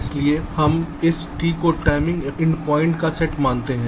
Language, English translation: Hindi, so we refer this t to be the set of timing endpoints